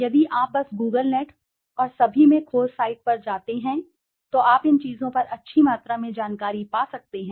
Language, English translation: Hindi, If you can just go to the search the site in the Google net and all, you can find good amount of information on these things